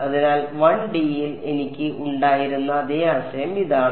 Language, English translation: Malayalam, So, this is the basic the same idea here in 1D which I had